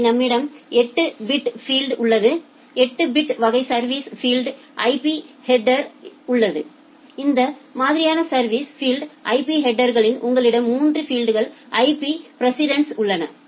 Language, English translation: Tamil, So, we have a 8 bit field, 8 bit type of service field in the IP header in that type of service field in the IP header you have 3 bits for IP precedence